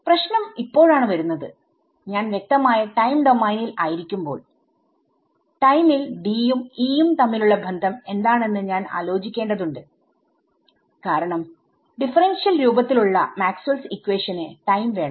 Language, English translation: Malayalam, The problem comes in now when I am explicitly in time domain I have to worry about what is the relation of D and E in time because our Maxwell’s equations the way in the differential form they need time yeah